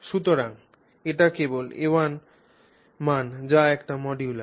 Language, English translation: Bengali, So it it's simply a value A is what the modulus is